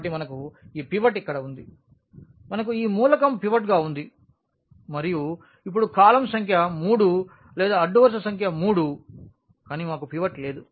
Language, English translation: Telugu, So, what we have we have this pivot here, we have this element as pivot and now going to the column number 3 or the row number 3 we do not have any pivot